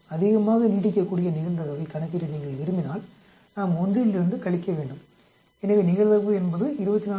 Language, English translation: Tamil, If you want to calculate probability that it will last more than, we have to subtract from 1, so the probability is 24